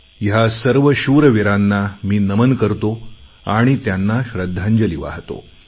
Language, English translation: Marathi, I salute these valiant soldiers and pay my tributes to them